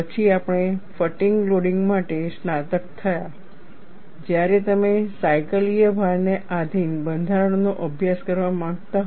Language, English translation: Gujarati, Then we graduated for fatigue loading when you want to study structure subject to cyclical load